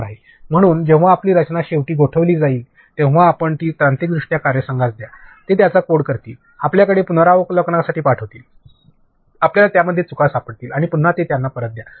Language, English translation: Marathi, So, when your design is freezed finally, you give it to the technical team, they will code it, comes to you for a review, you find bugs in it and again give it back to them